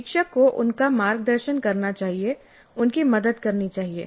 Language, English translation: Hindi, So instructor must guide them, instructor must help them